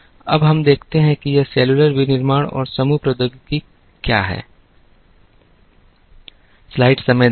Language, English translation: Hindi, Now, let ussee, what this cellular manufacturing and group technology is